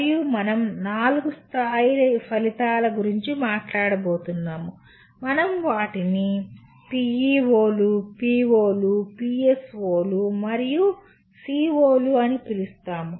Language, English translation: Telugu, And we are going to talk about 4 levels of outcomes namely, we call them as PEOs, POs, PSOs, and COs